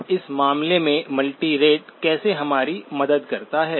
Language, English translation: Hindi, Now how does multirate help us in this case